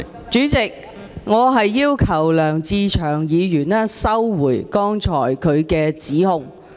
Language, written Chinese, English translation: Cantonese, 主席，我要求梁志祥議員收回剛才的指控。, President I demand that Mr LEUNG Che - cheung withdraw the accusation he just made